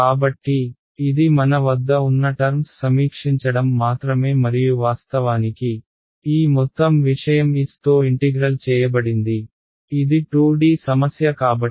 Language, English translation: Telugu, So, this is just reviewing the terms that we had and of course, this whole thing was integrated both sides were integrated over s remember s because it is a 2D problem